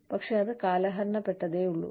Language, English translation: Malayalam, But, it is just outdated